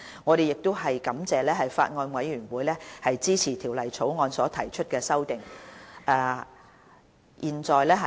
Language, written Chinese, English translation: Cantonese, 我們亦感謝法案委員會支持就《條例草案》提出的修正案。, We also thank the Bills Committee for supporting the amendments proposed to the Bill